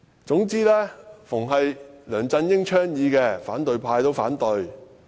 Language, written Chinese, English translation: Cantonese, 總之但凡梁振英倡議的，反對派也反對......, They would oppose any proposals so long as they came from Mr LEUNG